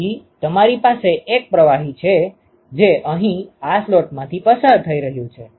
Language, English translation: Gujarati, So, you have one fluid which is going through these slots here